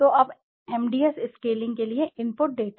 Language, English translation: Hindi, So the input data now for the MDS scaling